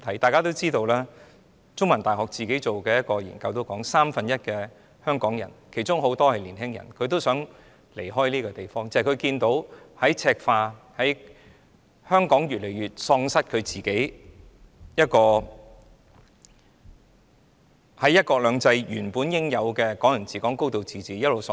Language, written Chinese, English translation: Cantonese, 大家也知道，香港中文大學進行的一項研究指出，三分之一的香港人——其中有很多是青年人——也想離開香港，因為他們看到香港正在赤化，看到香港在"一國兩制"下原應享有的"港人治港"、"高度自治"正一直流失。, Members also know that according to a study conducted by the Chinese University of Hong Kong one third of the people of Hong Kong many of them young people desire to leave Hong Kong . They desire to leave for they see that Hong Kong is being turned red and that there is the continual draining of Hong Kong people ruling Hong Kong and high degree of autonomy which Hong Kong is entitled under one country two systems